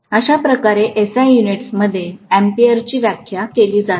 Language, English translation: Marathi, This is how in SI units’ ampere is defined